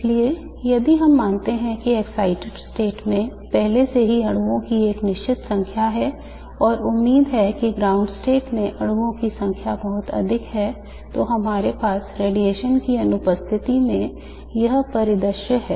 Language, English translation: Hindi, So if we assume that there are already a certain number of molecules in the excited state and hopefully a much larger number of molecules in the ground state what we have is in the absence of radiation this is the scenario